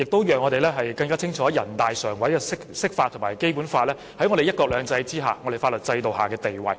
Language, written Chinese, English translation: Cantonese, 此外，我們亦更清楚知道人大常委會的釋法及《基本法》在"一國兩制"之下的法律地位。, Moreover we also have a clearer understanding of the legal status of the NPCSC Interpretation and BL under one country two systems